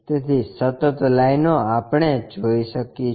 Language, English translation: Gujarati, So, continuous lines we will show